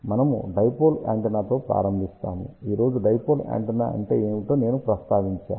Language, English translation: Telugu, We will start with dipole antenna I did mention what is a dipole antenna today